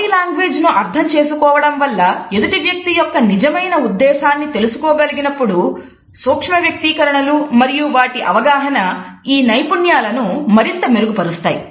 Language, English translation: Telugu, If understanding body language helps us to understand the true intent of the other person; micro expressions and their understanding further hones these skills